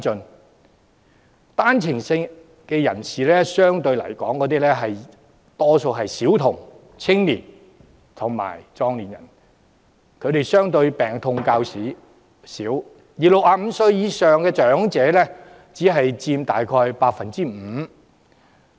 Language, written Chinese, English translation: Cantonese, 相對來說，單程證人士有較高比例是小童、青年人及壯年人，他們病痛相對較少，而65歲以上長者只佔約 5%。, Relatively speaking a large proportion of OWP holders are children youngsters and able - bodied people who suffer less from illnesses . Elderly persons aged 65 or above make up only 5 % of all OWP holders